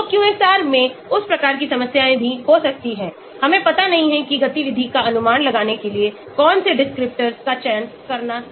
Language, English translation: Hindi, So, in QSAR that type of problem can also happen, we do not know which descriptors to select to predict the activity